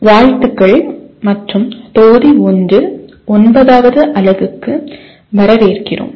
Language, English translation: Tamil, Greetings and welcome to the Module 1 Unit 9